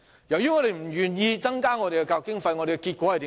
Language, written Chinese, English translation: Cantonese, 由於政府不願意增加教育經費，結果怎樣？, Since the Government is unwilling to increase the education expenditure what is the result?